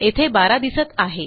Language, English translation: Marathi, So, thats 12